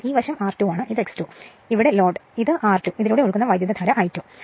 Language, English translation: Malayalam, So, this side is R 2, this is X 2 and here load is there say so, this is R 2 and current flowing through this is I 2